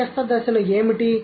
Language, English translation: Telugu, What are the intermediate stages